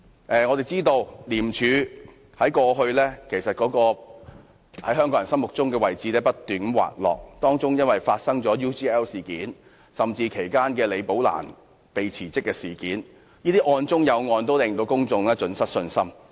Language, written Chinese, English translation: Cantonese, 眾所周知，廉政公署在香港人心中的位置不斷滑落，部分原因是發生了 UGL 事件和李寶蘭"被辭職"事件，案中有案，令公眾信心盡失。, As everyone knows the position of the Independent Commission Against Corruption in the hearts of Hong Kong people has been slipping . This is partly attributable to the UGL incident and the perplexing incident of Rebecca LI being forced to resign which have resulted in a total loss of public confidence